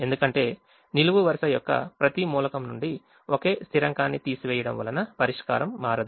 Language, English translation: Telugu, therefore, subtracting a constant from every element of the row will not change the solution